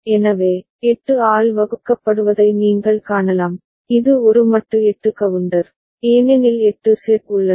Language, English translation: Tamil, So, you can see that divided by 8, it is a modulo 8 counter, because 8 sets are there